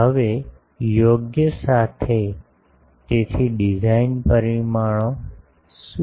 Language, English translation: Gujarati, Now with proper, so what are the design parameters